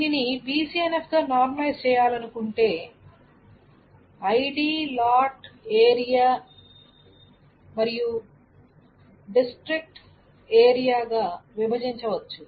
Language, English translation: Telugu, So if one to normalize this in BC and F, what one can break this down is that ID lot area then it can be district to area